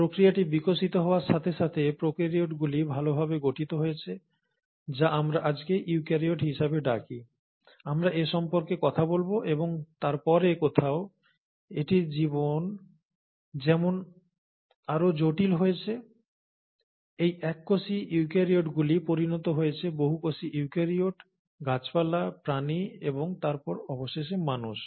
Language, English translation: Bengali, And as a process evolved, the prokaryotes ended up becoming well formed, which is what we call today as eukaryotes, we’ll talk about this, and then somewhere, as it's life became more and more complex, these single cell eukaryotes went on to become multi cellular eukaryotes, plants, animals, and then finally, the humans